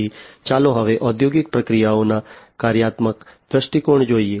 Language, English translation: Gujarati, So, now let us look at the functional viewpoint of industrial processes